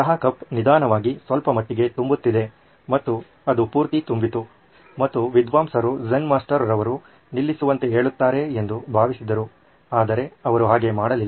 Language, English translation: Kannada, The tea cup was slowly filling up little by little and it reached the end and the scholar thought that the Zen Master would ask him to stop but he didn’t